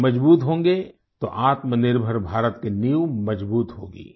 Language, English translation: Hindi, If they remain strong then the foundation of Atmanirbhar Bharat will remain strong